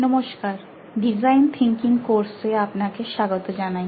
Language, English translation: Bengali, Hello and welcome back to design thinking course